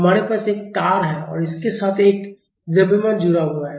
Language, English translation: Hindi, We have a string and we have a mass attached to it